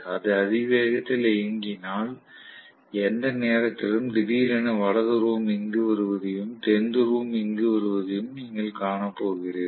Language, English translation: Tamil, If it is running at a high speed, within no time, you are going to see that suddenly North Pole comes here and South Pole comes here